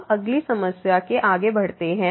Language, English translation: Hindi, Now, moving next to the next problem